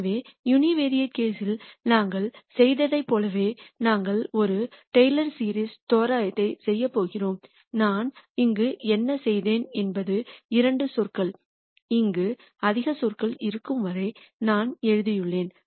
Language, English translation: Tamil, So, much like what we did in the univariate case, we are going to do a Taylor series approximation and what I have done here is I have just written it till two terms there are more terms here